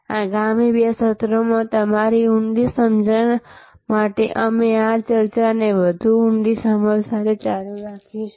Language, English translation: Gujarati, We will continue this discussion with a deeper understanding for your deeper understanding over the next two sessions